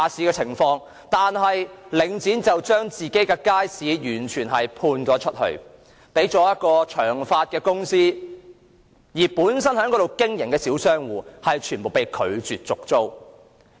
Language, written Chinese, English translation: Cantonese, 可是，領展將街市完全外判予一間公司，而本身在街市經營的小商戶則全部被拒絕續租。, Yet Link REIT had outsourced the market to another company and all original small shop operators in the market had been refused a lease renewal